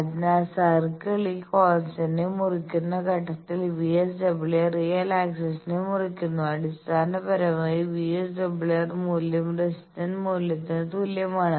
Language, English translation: Malayalam, So, at the point where the circle is cut this constant, VSWR cuts the real axis basically that VSWR value equals to the resistance value